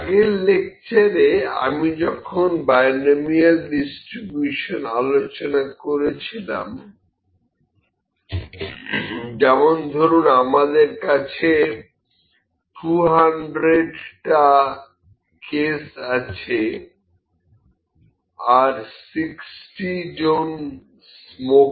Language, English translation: Bengali, When I discuss the binomial distributions in the previous lecture now for example, we have 200 cases and we find 60 smokers